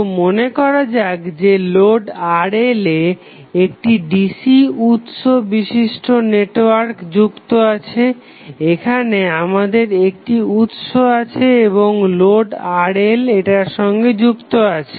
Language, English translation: Bengali, So, let us assume that the load Rl is connected to a DC source network that is, we have a book here and load Rl is connected to that